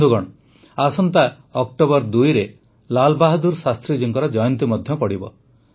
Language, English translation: Odia, the 2nd of October also marks the birth anniversary of Lal Bahadur Shastri ji